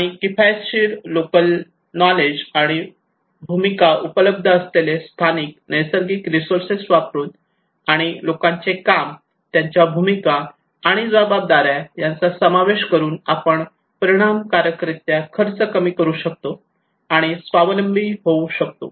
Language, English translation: Marathi, And cost effective, using local knowledge and other natural resources locally available resources and involving people their labour their roles and responsibilities would effectively reduce the cost that would be self sustainable